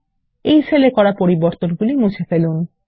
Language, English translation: Bengali, Let us delete the changes in this cell